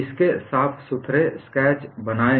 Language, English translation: Hindi, I would like you to make neat sketches of this